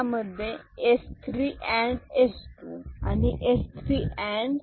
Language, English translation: Marathi, So, this is your S 3 and S 2